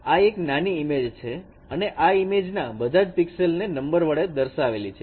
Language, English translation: Gujarati, So this is a small image and each pixel value is represented by these numbers